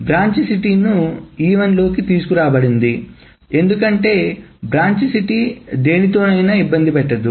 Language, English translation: Telugu, So branch city was brought into E1 because the branch city doesn't bother itself with anything else